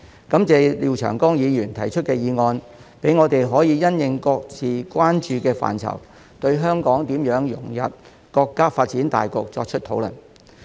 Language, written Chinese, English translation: Cantonese, 感謝廖長江議員提出議案，讓我們可因應各自關注的範疇，對香港如何融入國家發展大局作出討論。, I am grateful to Mr Martin LIAO for proposing the motion which enables us to discuss Hong Kongs integration into the overall development of the country with respect to our areas of concern